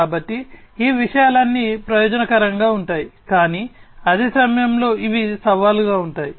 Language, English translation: Telugu, So, all these things are advantageous, but at the same time these are challenging